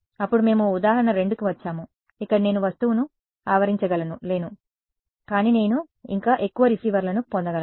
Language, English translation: Telugu, Then we came to example 2 where I could not surround the object, but still I could would more receivers